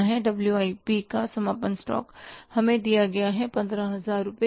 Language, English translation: Hindi, Closing stock of WIP is how much closing stock of WIP given to us is 15,000